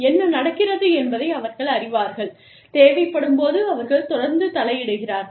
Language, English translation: Tamil, They know, what is going on, and they constantly intervene, as and when required